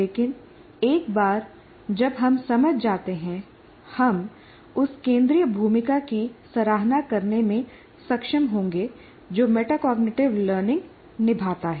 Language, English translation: Hindi, But once we understand that, we will be able to appreciate the central role that metacognitive learning plays